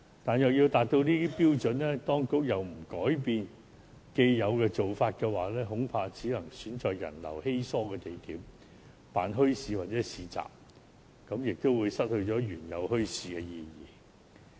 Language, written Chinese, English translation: Cantonese, 但是，要達到這些範疇的標準，當局又不改變既有做法的話，恐怕只能選在人流稀疏的地點舉辦墟市或市集，這便會令墟市失去原有的意義。, However if the authorities do not change its established approach I am afraid that the required standards can only be met if bazaars or markets are held at sites with low visitor flows . In that case the original objectives of holding bazaars will not be achieved